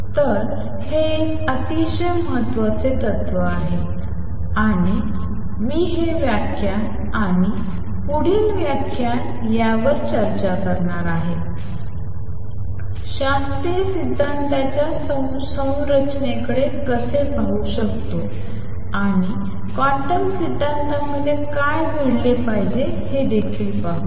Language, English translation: Marathi, So, it is a very important principle and I am going to spend this lecture and the next lecture discussing this and also see how one could look at the structure of classical theory and from that guess what should happen in quantum theory